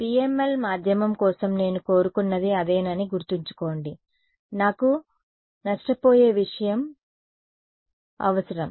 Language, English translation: Telugu, And remember that is what I wanted for a for a PML medium I needed a lossy thing